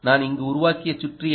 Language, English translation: Tamil, and what is the circuit i built here